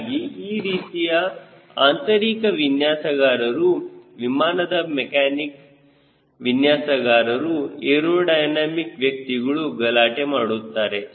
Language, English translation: Kannada, a interior designer, flight mechanics designer, aerodynamics, they quarrel